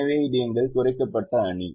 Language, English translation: Tamil, so this is our reduced matrix